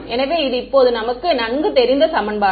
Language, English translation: Tamil, So, this is our familiar equation towards by now ok